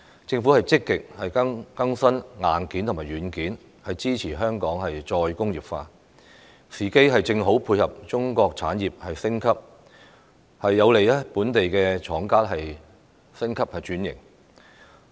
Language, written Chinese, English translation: Cantonese, 政府積極更新硬件和軟件，支持香港再工業化，時機正好配合中國產業升級，有利本地廠家升級轉型。, The Government has been making proactive efforts to update the hardware and software to support Hong Kongs reindustrialization . Such move coinciding with the upgrading of Chinas industries will facilitate local manufacturers to upgrade and transform their business